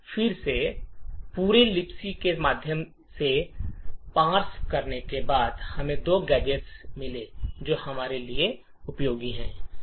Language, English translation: Hindi, Now after parsing and searching through the entire libc file we found two gadgets which would help us achieve this